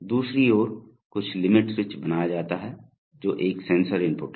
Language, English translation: Hindi, On the other hand some limit switch is made, that is a sensor input